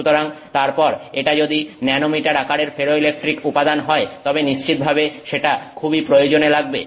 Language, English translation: Bengali, So then if it is a nanometer sized ferroelectric material that is certainly very useful